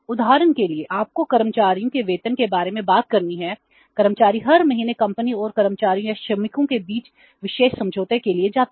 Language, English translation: Hindi, Do employees go for every month the special agreement to be entered between the company and the employees or the workers